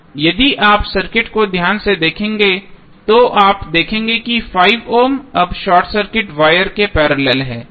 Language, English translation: Hindi, If you see the circuit carefully you will see that 5 ohm is now in parallel with the short circuit wire